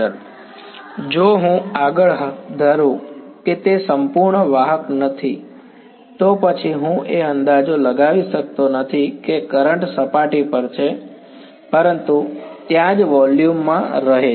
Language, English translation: Gujarati, Then if I made the further assumption that it is not a perfect conductor, then I can no longer make the approximation that the currents are on the surface, but there living in the volume right